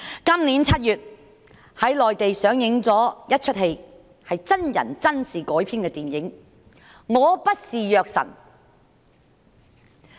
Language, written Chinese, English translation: Cantonese, 今年7月內地上映了一齣真人真事改編的電影"我不是藥神"。, In July this year a movie entitled I am not the God of Drugs was shown in the Mainland . The story is adapted from the true story of a real person